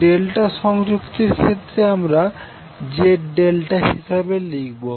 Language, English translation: Bengali, In case of delta connected we will specify as Z delta